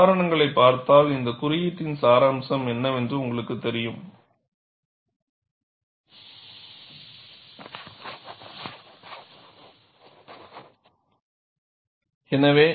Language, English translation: Tamil, You see the examples; then you will know, what is the essence of this code